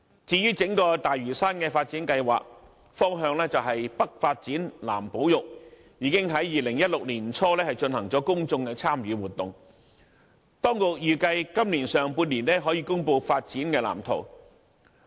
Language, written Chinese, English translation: Cantonese, 至於整個大嶼山"北發展南保育"的發展方向，已於2016年年初進行公眾參與活動；當局預計今年上半年可以公布發展藍圖。, After the authorities completed the public engagement exercise for the development of Lantau along the overall direction of development for the north conservation for the south in early 2016 it is expected that the blueprint for Lantaus development will be published in the first half of this year